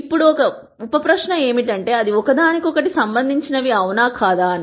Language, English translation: Telugu, Now a sub question is to say are they related to each other